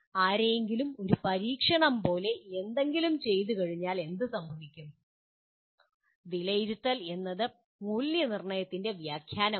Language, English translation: Malayalam, And what happens once somebody perform something like performs an experiment then evaluation is interpretation of assessment